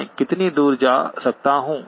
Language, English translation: Hindi, How far can I go